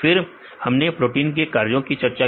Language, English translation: Hindi, So, then we discussed about the protein functions